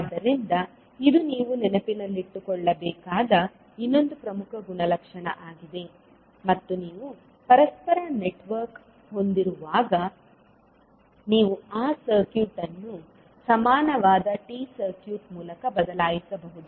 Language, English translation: Kannada, So, this is another important property which you have to keep in mind and when you have a reciprocal network, you can replace that network by an equivalent T circuit